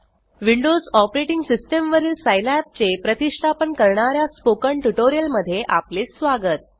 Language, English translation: Marathi, Welcome to the spoken tutorial on Installation of Scilab on Windows operating system